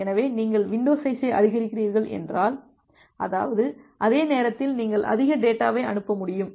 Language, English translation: Tamil, So, size if you are increasing the window size; that means, at the same instance of time you will be able send more data